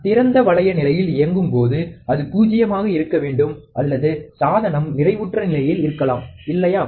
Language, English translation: Tamil, When operated in an open loop condition, it must be nulled or the device may get saturated, right